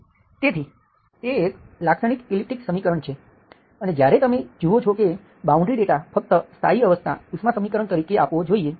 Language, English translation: Gujarati, And we have seen the Laplace equation, so that is a typical elliptic equation when you see that boundary data should only be provided as a steady state heat equation